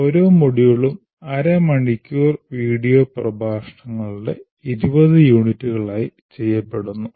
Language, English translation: Malayalam, Each module is also offered as 20 units of about half hour video lectures